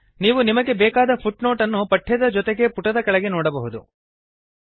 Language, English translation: Kannada, You can see the required footnote along with the text at the bottom of the page